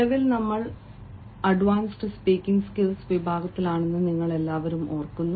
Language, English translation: Malayalam, all of you remember that presently we are in advanced speaking skills section